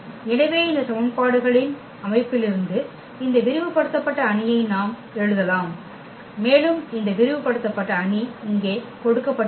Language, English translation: Tamil, So, from those, these system of equations we can write down this augmented matrix and this augmented matrix is given here